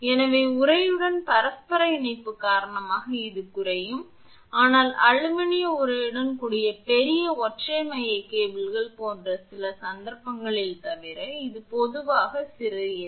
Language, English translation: Tamil, So, the reduction due to mutual coupling with the sheath this is generally small except in some cases such as large single core cables with aluminum sheath